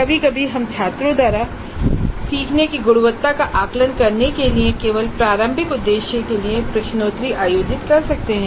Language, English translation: Hindi, Sometimes we might conduct quizzes only for diagnostic purposes, formative purposes in order to assess the quality of learning by the students